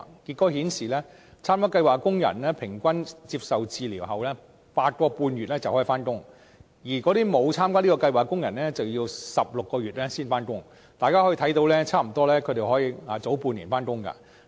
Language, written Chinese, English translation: Cantonese, 結果顯示，參加計劃的工人平均接受治療 8.5 個月就能復工，而沒有參加計劃的工人則需要16個月才能復工，可見參加計劃的工人可以早差不多半年復工。, Results have shown that participating workers required 8.5 months of treatment on average before resuming work while those who did not participate in the programme required 16 months before resuming work . It can then be seen that workers who had participated in the programme could resume work almost six months earlier